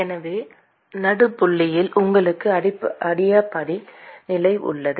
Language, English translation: Tamil, So, where at the midpoint you have adiabatic condition